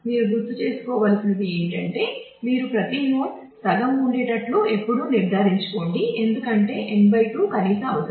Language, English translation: Telugu, All that you will have to remember is you always make sure that you have every node half filled, because n by 2 is a minimum requirement